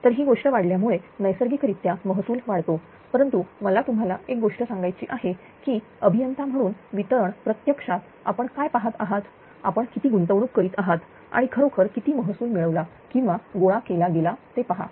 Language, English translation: Marathi, So, naturally revenue increase due to this thing will be more, but let me tell you one thing that distribution actually as an as an engineer ah actually what we will look into you will look into how much you are investing and how much actually revenue being generated or collected, right